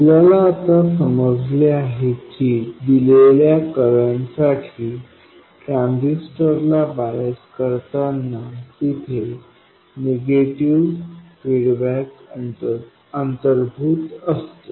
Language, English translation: Marathi, We now understand that biasing a transistor at a given current involves negative feedback